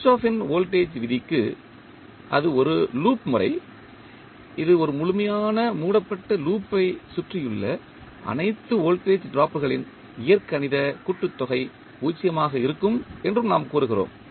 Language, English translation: Tamil, For Kirchhoff’s voltage law, we also say that it is loop method in which the algebraic sum of all voltage drops around a complete close loop is zero